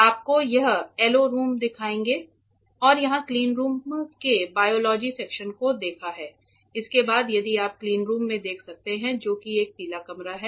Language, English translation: Hindi, Next we will see and yellow room we have seen the biology section of the cleanroom here next we are going to a very important heart actually if you can look at it of the cleanroom which is a yellow room